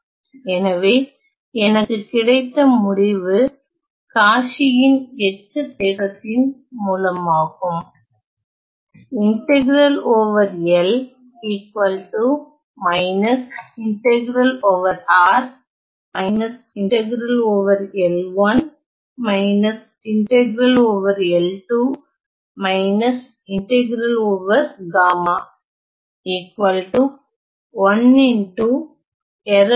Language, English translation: Tamil, So, what I get is using Cauchy’s residue theorem right